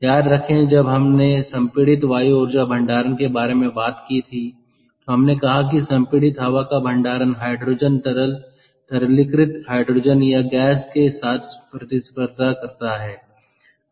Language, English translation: Hindi, remember, when we talked about compressed air energy storage, we said that compressed air storage is competing with storage of hydrogen, liquid liquefied hydrogen or compressed hydrogen as gas